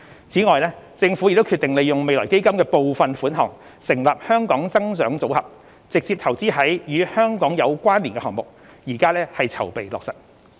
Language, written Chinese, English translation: Cantonese, 此外，政府已決定利用未來基金的部分款項成立"香港增長組合"，直接投資於"與香港有關連"的項目，現正籌備落實。, Moreover the Government has decided to use part of FF to set up the Hong Kong Growth Portfolio for direct investments in projects with a Hong Kong nexus and preparation for implementation is under way